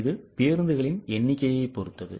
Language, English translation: Tamil, It depends on number of buses